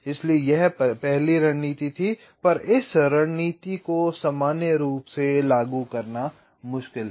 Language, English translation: Hindi, as i had said, that this strategy is difficult to implement in general